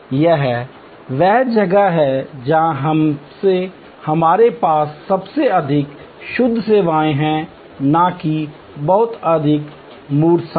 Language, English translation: Hindi, This is where we have most pure services, not having much of tangible goods associated